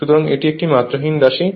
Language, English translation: Bengali, So, it is a dimensionless quantity